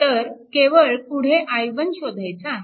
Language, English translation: Marathi, So, this is your i 1 is solved